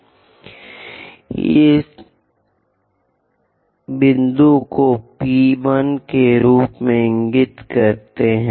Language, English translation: Hindi, So, let us label this point as P 1